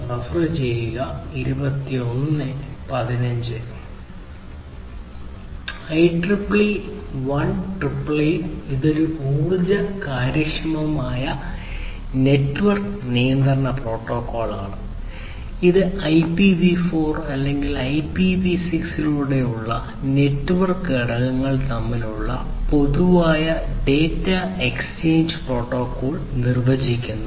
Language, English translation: Malayalam, IEEE 1888 this one is an energy efficient network control protocol, which defines a generalized data exchange protocol between the network components over IPv4 or IPv6